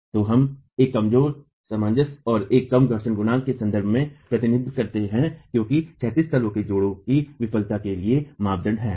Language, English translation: Hindi, So we represented in terms of a reduced cohesion and a reduced friction coefficient as being the criterion for failure of the horizontal bed joint